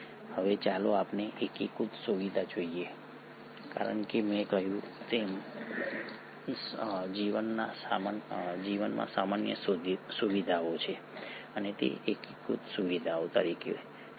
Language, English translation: Gujarati, Now let us look at the unifying feature because as I said there are common features across life and what as that unifying features